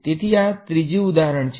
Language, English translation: Gujarati, So, this is third example